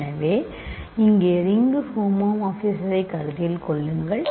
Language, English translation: Tamil, So, consider the ring homomorphism